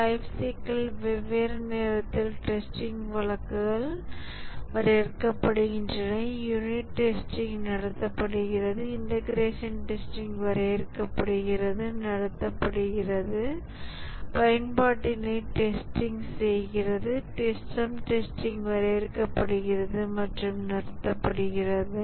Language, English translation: Tamil, At different time of the lifecycle, the test cases are defined, unit testing is conducted, integration testing defined, conducted, usability testing, system testing is defined and conducted